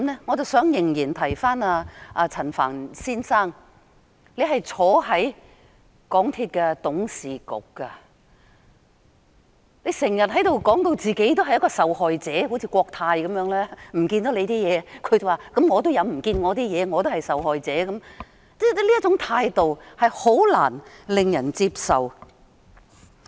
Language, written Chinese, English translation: Cantonese, 我仍然想提醒陳帆先生，他是港鐵公司董事局成員，經常把自己說成是一個受害者，好像國泰航空有限公司般，遺失了乘客的東西，就說自己也有東西不見了，也是受害者，這種態度是難以令人接受的。, I still wish to remind Mr Frank CHAN of one thing He as a board member of MTRCL often portrays himself as a victim just like Cathay Pacific Airways who portrayed itself as also a victim suffering loss after it had lost passengers personal information . This attitude is unacceptable